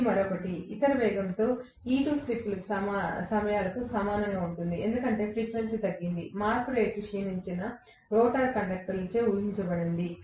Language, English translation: Telugu, This one, E2 at any other speed omega R will be equal to slip times because the frequency has decreased; the rate of change has been what visualize by the rotor conductors that have declined